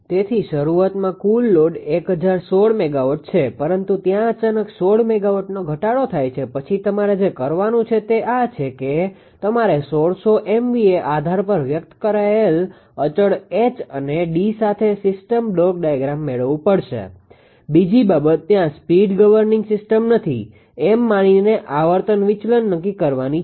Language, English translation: Gujarati, So, initially a total load of 1016 megawatt, but there is sudden drop of 16 megawatt then what you have to do is you have to obtain the system block diagram with constant H and D expressed on 1600 MVA base right; you have to obtain the system block data with constant H and D